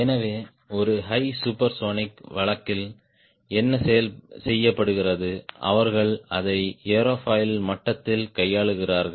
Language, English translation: Tamil, so for the high supersonic case, what is done is they handle it at a airfoil level